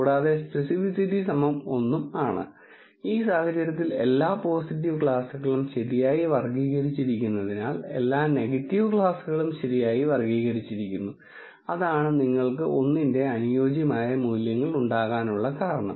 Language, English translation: Malayalam, And speci city is equal to 1 in this case is because all the positive classes are correctly classified all the negative classes are also correctly classified that is the reason why you have the ideal values of one and one for sensitivity and speci city